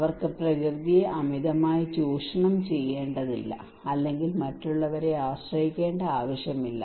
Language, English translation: Malayalam, They do not need to exploit the nature at tremendously or do not need to depend on others okay